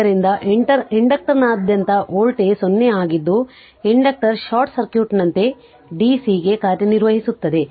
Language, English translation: Kannada, Therefore, the voltage across an inductor is 0 thus an inductor acts like a short circuit to dc right